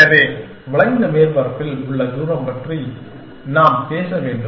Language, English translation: Tamil, So, we have to talk about distance on the curved surface